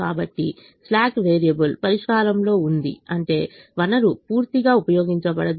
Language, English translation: Telugu, so slack variable is in the solution means the resource is fully not utilized